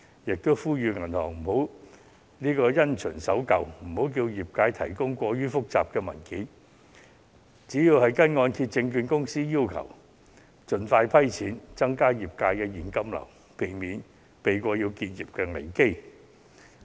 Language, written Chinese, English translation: Cantonese, 我並呼籲銀行不要因循守舊，不應要求業界提供過於複雜的文件，而應該按照香港按揭證券有限公司的要求盡快批出貸款，增加業界的現金流，避免結業危機。, On the other hand banks should not be too rigid and should not ask lenders for overly complicated documents . They should speed up loan approval as requested by The Hong Kong Mortgage Corporation Limited so as to increase the cash flow of the trade and prevent business closure